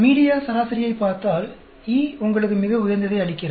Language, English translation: Tamil, If you look at the media average the E gives you the highest